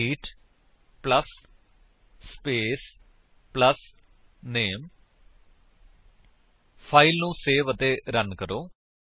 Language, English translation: Punjabi, greet plus SPACE plus name save the file and run it